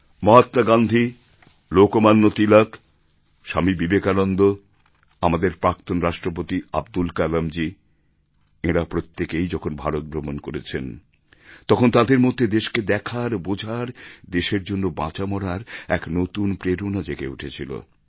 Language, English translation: Bengali, If you refer to Mahatma Gandhi, Lokmanya Tilak, Swami Vivekanand, our former President Abdul Kalamji then you will notice that when they toured around India, they got to see and understand India and they got inspired to do and die for the country